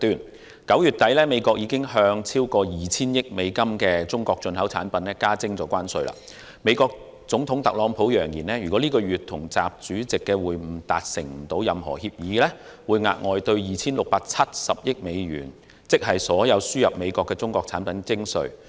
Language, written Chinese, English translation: Cantonese, 美國在9月底已向超過 2,000 億美元的中國進口產品加徵關稅，美國總統特朗普揚言，如果本月與習主席的會晤未能達成任何協議，會額外對 2,670 億美元——即所有輸入美國的中國產品——徵稅。, Since the end of September the United States has imposed tariffs on more than US200 billion worth of Chinese imports . The United States President Donald TRUMP has threatened an additional US267 billion of tariffs ie . all Chinese products imported into the United States if his meeting with President XI this month fails to reach any agreement